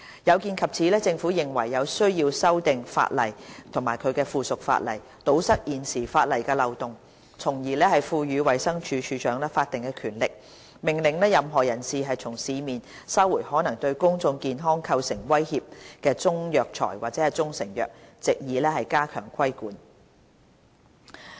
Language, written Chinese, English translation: Cantonese, 有見及此，政府認為有需要修訂《條例》及其附屬法例，堵塞現有的法例漏洞，從而賦予衞生署署長法定權力，命令任何人士從市面收回可能對公眾健康構成威脅的中藥材或中成藥，以加強規管。, In view of the aforementioned situation the Government considers it necessary to amend CMO and its subsidiary legislation to plug the existing loopholes in the law with a view to conferring on the Director the statutory power to order the recall of Chinese herbal medicines or proprietary Chinese medicines from the market in order to strengthen the control